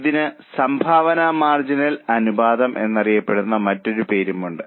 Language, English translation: Malayalam, There is another name for it also that is known as contribution margin ratio